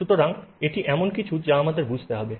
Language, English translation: Bengali, So, this is something that we need to understand